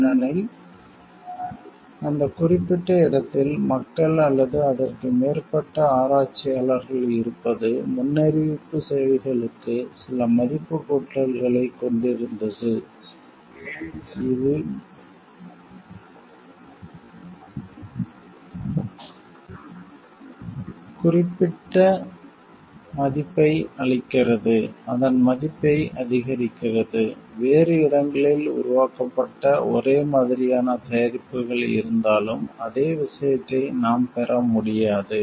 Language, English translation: Tamil, Because it is the due to the like presence of people or more researchers held in that particular place, which is had some value addition to the predictor services, which we which gives it so particular worth, which increases its value, which same thing we cannot get from the products of the maybe, on the similar nature developed elsewhere